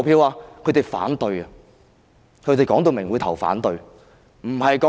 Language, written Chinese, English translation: Cantonese, 他們會反對，清楚表明會投反對票。, They will oppose it . They made it clear they would cast votes against it